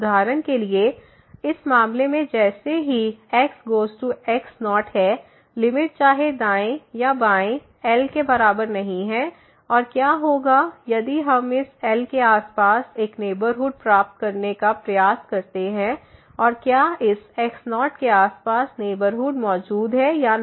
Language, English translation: Hindi, For example, in this case as approaches to naught, the limit whether right or the left is not equal to and what will happen if we try to get a neighborhood around this here and whether the corresponding neighborhood around this naught will exist or not